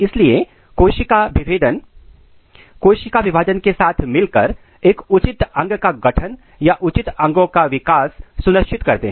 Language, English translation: Hindi, So, cell differentiation is the process together with the cell division ensures a proper organ formation or development of proper organs